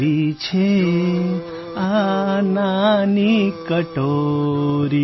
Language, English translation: Gujarati, What is this little bowl